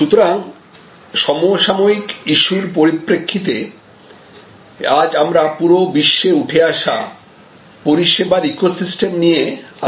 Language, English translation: Bengali, So, from the contemporary issues perspective, what we want to discuss today is the emerging ecosystems of services around the world